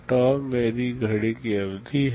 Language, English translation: Hindi, tau is my clock period